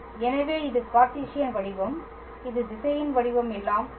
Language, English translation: Tamil, So, this is the Cartesian form, this is the vector form all right